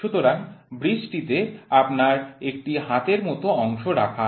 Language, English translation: Bengali, So, in the bridge you have the arm which is resting